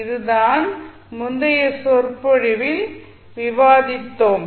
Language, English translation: Tamil, So, this is what we discussed in our yesterday in our lecture